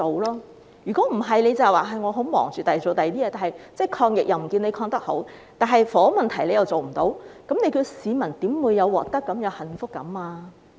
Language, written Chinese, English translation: Cantonese, 政府只說忙於處理其他事情，但其抗疫表現卻不見得很好，房屋問題又無法處理，教市民如何會有獲得感和幸福感呢？, The Government just said it was tied up with something else but it does not seem to perform very well in fighting the epidemic and it cannot deal with the housing problem either . Then how can people have a sense of gain and happiness?